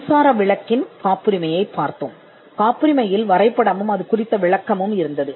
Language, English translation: Tamil, The electric bulb we saw the patent, and there was a description of drawing in the patent